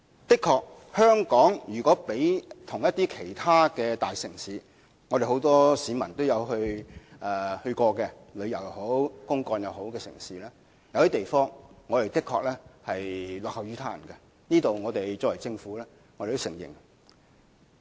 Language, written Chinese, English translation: Cantonese, 如果將香港與其他大城市比較——市民皆曾前往旅遊或公幹的大城市——有些地方我們的確落後於人，我們政府是承認的。, A comparison between Hong Kong and other major cities―major cities where people have visited during leisure or business trips―will show that we honestly lag behind others in some areas . We in the Government admit this